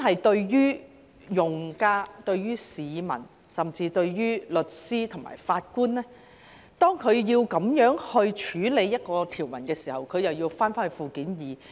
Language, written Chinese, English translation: Cantonese, 當用家、市民甚至律師及法官要引用這項條文時，便要返回附件二。, When users members of the public and even lawyers and judges want to invoke this provision they have to go back to Annex II which covers quite a number of issues